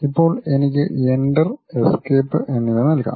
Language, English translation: Malayalam, Now, I can just put Enter and Escape